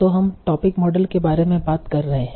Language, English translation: Hindi, So we have been talking about topic models